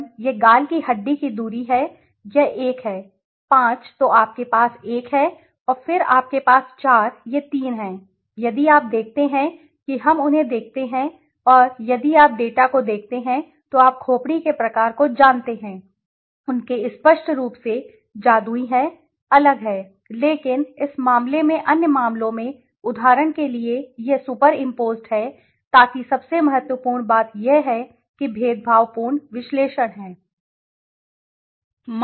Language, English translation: Hindi, So 154, 1 this is the cheekbone distance is this one, 5 then you have 1 and then you have 4 these three if you see let us look at them and if you see the data the you know the type of skulls right, their clearly there is separation there is separation but in other cases in this case for example it is super imposed so when the most important thing is discriminant analysis is that